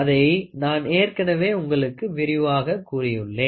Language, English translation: Tamil, So, I have already explained to you